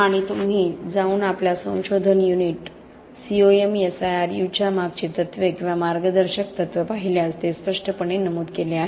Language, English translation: Marathi, And if you go and look at the sort of principles or the guiding principles behind our research unit, COMSIRU, that is clearly stated there